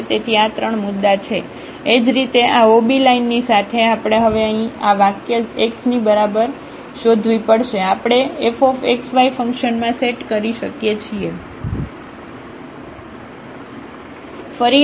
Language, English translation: Gujarati, So, these are the 3 points; similarly along this ob line, we have to search now here along this line x is equal to 0, we can set in f xy function